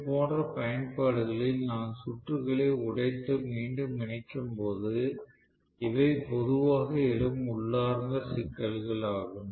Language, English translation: Tamil, So these are generally inherent problems that are face in such application where I am going to break the circuit and reconnect the circuit